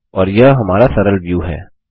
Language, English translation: Hindi, And there is our simple view